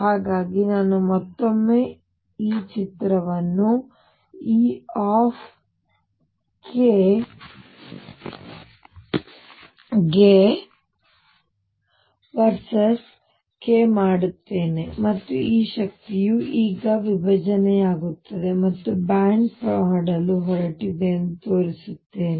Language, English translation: Kannada, So, I will again make this picture e k versus k and show that these energy is now are going to split and make a band